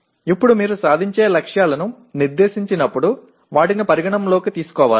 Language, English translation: Telugu, Now when you set the attainment targets, they should be done with consideration